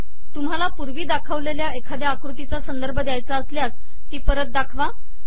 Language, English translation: Marathi, If you want to refer to a previously shown figure, show it again